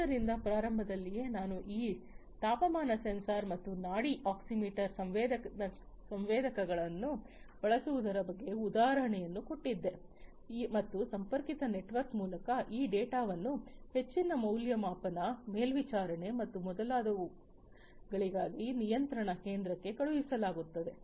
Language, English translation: Kannada, So, at the very outset I had given you the example of this temperature sensor and pulse oximeter sensor being used and through a connected network this data is sent to the control center for further evaluation, monitoring, and so on